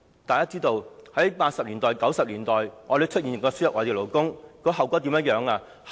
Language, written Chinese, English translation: Cantonese, 大家也知道，在1980、1990年代，我們曾輸入外地勞工，後果如何？, It is commonly known that in the 1980s and 1990s we imported labour but what were the consequences?